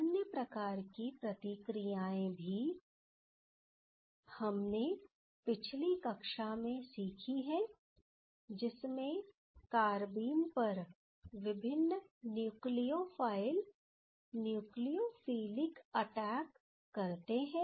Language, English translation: Hindi, So, another type of reactions also we have learned in the last class that is the nucleophilic attack of various nucleophiles towards the carbene